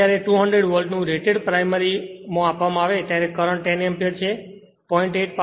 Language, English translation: Gujarati, Now, when rated voltage of 200 Volt is applied to the primary a current 10 Ampere 0